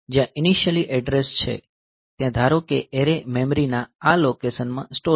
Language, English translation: Gujarati, So, there is the initial address is there suppose the array is stored in this region of memory